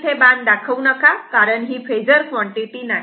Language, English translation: Marathi, Do not put arrow, that this is not a phasor quantity